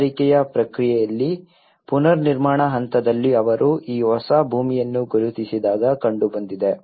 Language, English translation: Kannada, In the recovery process, in the reconstruction stage when they identified this new land